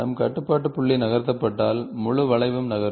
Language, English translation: Tamil, If we are control point is moved, the entire curve moves